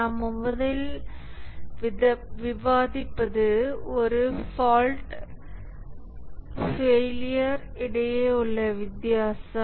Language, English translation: Tamil, The first thing we will discuss is the difference between a fault and a failure